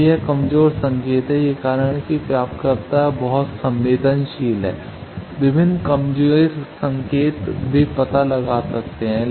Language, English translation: Hindi, So, that is a weak signal that is why receivers are very sensitive, various weak signal they can detect